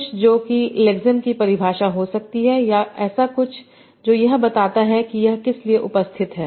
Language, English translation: Hindi, So something that might be a definition of the lexine or something that explains what this stands for